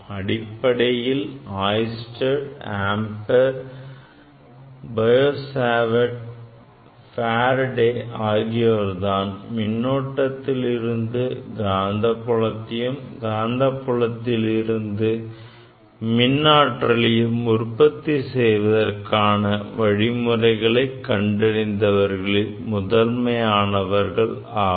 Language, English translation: Tamil, Basically Oersted, Ampere, Biot Savart, Faraday are pioneer workers for generating magnetic field from the current and electric field or that is basically emf or equivalent to emf, that is from the magnetic field